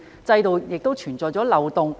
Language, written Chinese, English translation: Cantonese, 制度是否存在漏洞？, Are there any loopholes in the system?